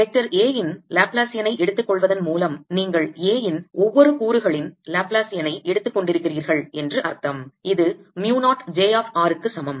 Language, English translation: Tamil, by taking laplacian of vector a one means that you are taking laplacian of each component of a and this is equal to mu naught j of r